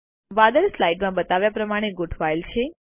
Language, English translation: Gujarati, The clouds are arranged as shown in the slide